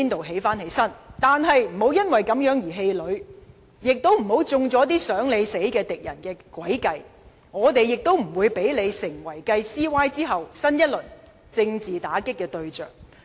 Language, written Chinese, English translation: Cantonese, 但是，你不要因此而氣餒，也不要中了那些"想你死"的敵人的詭計，我們也不會讓你成為繼 CY 之後新一輪政治打擊的對象。, And most importantly do not be discouraged or fall into the death trap set by your enemies . We will not let you become another target of political attacks after CY